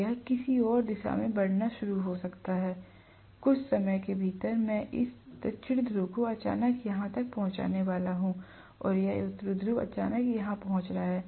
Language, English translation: Hindi, So it may start moving in some other direction, within no matter of time, I am going to have this South Pole suddenly reaching here and this North Pole suddenly reaching here